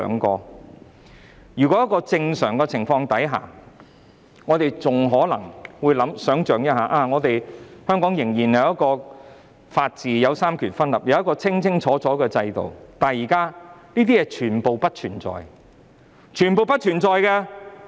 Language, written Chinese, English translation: Cantonese, 在正常情況下，我們還會相信香港仍有法治、三權分立和清楚的制度，但凡此種種，現在皆不存在，是全部不存在的。, In normal circumstances we will believe that Hong Kong still upholds the rule of law separation of powers and a clear system . But all these have ceased to exist now and become nonexistent